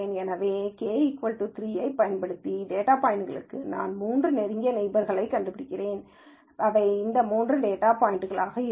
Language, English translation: Tamil, So, if I were to use k equal to 3, then for this data point I will find the three closest neighbors, they happen to be these three data points